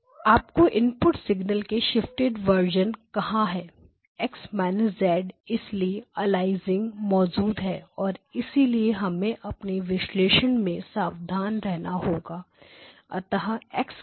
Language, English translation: Hindi, Now where is the shifted version of your input signal X of minus Z, X of minus Z, so that is why aliasing is present and therefore we have to be careful in our analysis so X hat of Z